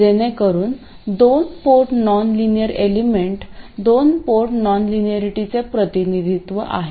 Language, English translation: Marathi, So, that is the representation of a 2 port nonlinear element, 2 port non linearity